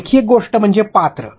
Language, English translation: Marathi, Another thing is characters